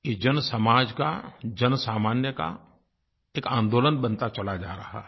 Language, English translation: Hindi, It is getting transformed into a movement by the society and the people